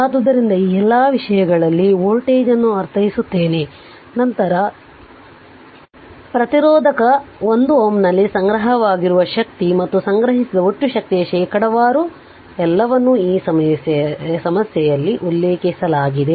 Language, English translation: Kannada, So, all these things I mean whatever the I mean what voltage, then energy stored in resistor 1 ohm, and percentage of the total energy stored everything is mentioned in this problem so